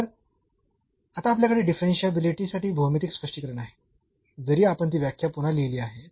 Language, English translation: Marathi, So, now we have the geometrical interpretation for the differentiability again just though we have rewritten that definition